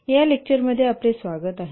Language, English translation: Marathi, Welcome to this lecture about this lecture